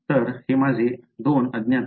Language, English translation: Marathi, So, these are my 2 unknowns